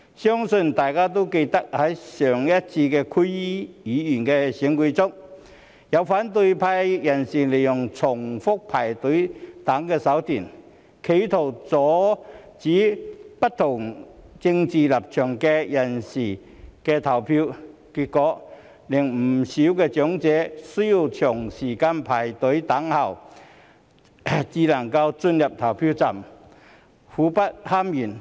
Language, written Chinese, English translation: Cantonese, 相信大家也記得，在上一次區議會選舉中，有反對派人士利用重複排隊等手段，企圖阻止不同政治立場的人士投票，結果令不少長者需要長時間排隊等候才能進入投票站，苦不堪言。, As Members may recall in the last District Council election some opposition figures tried to prevent people with different political views from voting by repeatedly queuing up . As a result many elderly people had to queue up for a long time before entering the polling stations making them suffer tremendously